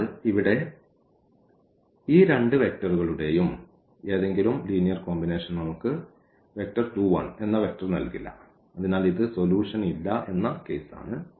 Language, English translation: Malayalam, So, here any linear combination of these two vectors will not give us the vector 1 in 2 and hence this is the case of no solution